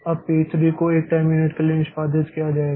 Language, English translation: Hindi, Then p 3 will be executed for 1 time unit